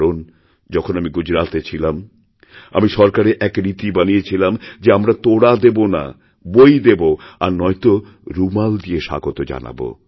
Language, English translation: Bengali, Because when I was in Gujarat, I had set this tradition of welcoming, by not giving bouquets, but books or handkerchiefs instead